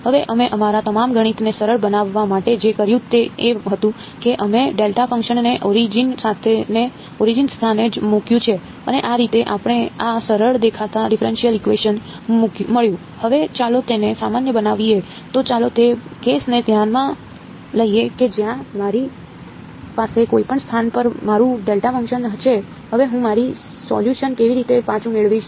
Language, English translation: Gujarati, Now, what we had done to simplify all our math was that we put the delta function at the origin right; and that is how we got this simple looking differential equation